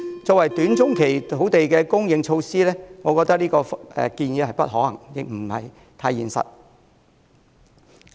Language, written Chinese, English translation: Cantonese, 作為短中期的土地供應措施，我覺得這項建議不太可行，亦不太現實。, I find this proposal neither viable nor realistic as a measure to increase land supply in the short - to - medium term